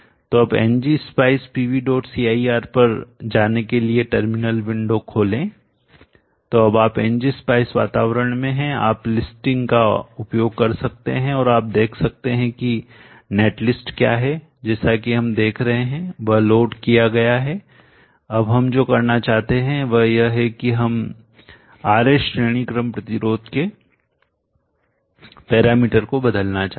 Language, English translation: Hindi, So now open the terminal window going to ng spice VV dot c area so now you are in the ng spice environment you can use listing and see what is the net list as we are that have been loaded, now what we want to do is we want to change the parameter of the RS per series resistance